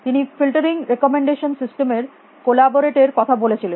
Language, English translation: Bengali, He talked about collaborate of filtering recommendation systems